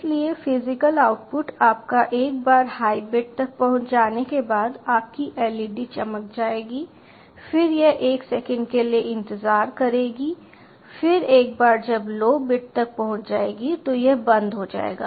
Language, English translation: Hindi, so the physical output will be your once the high bit is reached, your led will glow, then it will wait for one second, then ah, once the lower bit is reached it will turn off and again it will sleep for two seconds and then turn off